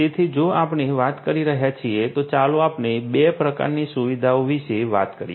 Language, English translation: Gujarati, So, in a you know if we are talking about let us let us talk about 2 types of facilities